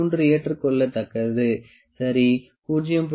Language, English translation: Tamil, 3 acceptable 0